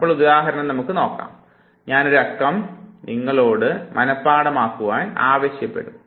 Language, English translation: Malayalam, Now let us take an example I will ask you to memorize a number